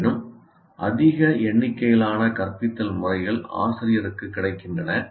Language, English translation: Tamil, However, you have a large number of instruction methods is available to the teacher